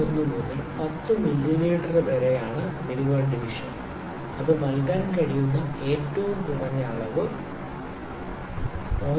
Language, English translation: Malayalam, 01 to 10 mm is the range the minimum division the minimum reading that it can give is 0